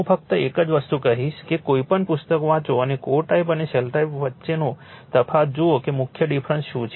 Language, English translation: Gujarati, Only one thing one thing I will tell you that you read any book and see the differences between the core type and your shell type what is the main different, right